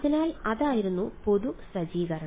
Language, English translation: Malayalam, So, that was the general setup